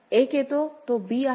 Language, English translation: Marathi, 1 comes it is b